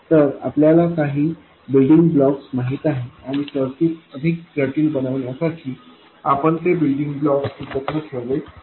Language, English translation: Marathi, So, you know certain building blocks and you put together those building blocks to make more complex circuits